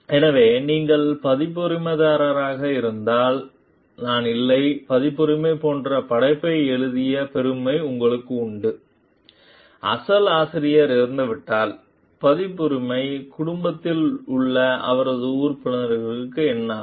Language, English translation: Tamil, So, the if you are a copyright holder there is not me like, you also have the credit for authoring the work the copyright like, if the original author dies, then what happens the copyright is inherited by the his members who are there in the family